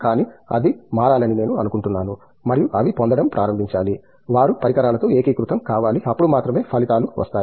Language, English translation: Telugu, But, I think that has to change and they should start getting, they should kind of find a unison with the equipment, only then the results will come out